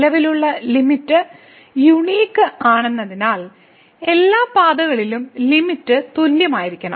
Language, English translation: Malayalam, Since, the limit if exist is unique the limit should be same along all the paths